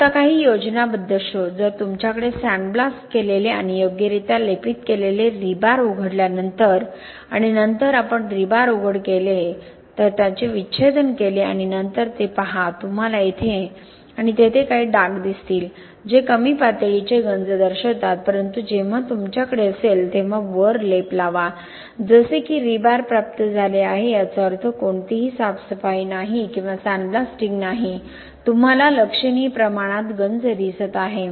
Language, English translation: Marathi, Now some schematic also on how the coated and you know the properly coated rebar if you have sandblasted and properly coated rebar after exposing and then we expose the rebar and then autopsied them and then look at it you can see just some spots here and there indicating low level of corrosion but when you have when you apply the coating on the, as received rebar that means there is no cleaning or no sandblasting you see significant amount of corrosion, so this is not something which is expected